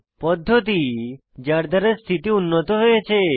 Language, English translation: Bengali, Practices that helped improve the condition